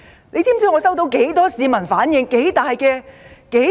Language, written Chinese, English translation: Cantonese, 你知道有多少市民向我投訴？, Do you know how many citizens have complained to me about this?